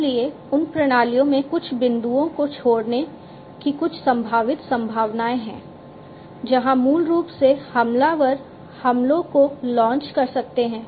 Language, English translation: Hindi, So, there are some potential possibilities of leaving some points in those systems which through which basically the attackers can launch the attacks